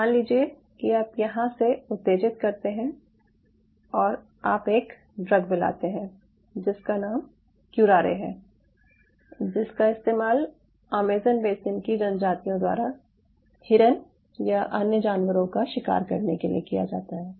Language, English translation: Hindi, you suppose, given a stimulation here and you add something, there is a drug called curare which is used by the tribes in amazon basin to deers or other animals